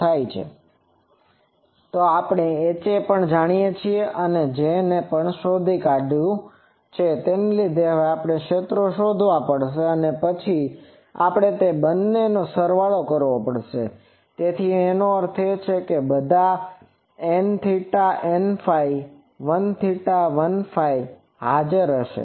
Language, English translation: Gujarati, So, H a we know, we will have to find J so, we will have to find the fields due to this and then we will have to sum both of them, that means, all those n theta n phi l theta l phi will be present that is the only thing